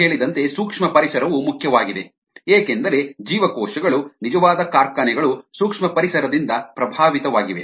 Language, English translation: Kannada, from an industry point of view, microenvironment is important, as we mentioned, because cells, the actual factories, they are influenced by the microenvironment